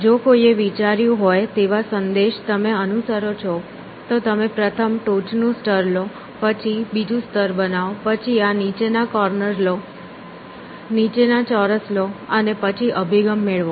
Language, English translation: Gujarati, If you follow the message that somebody has thought you would says, take the top layer first, then make the second layer, then get this bottom corners, get the bottom squares and then get the orientation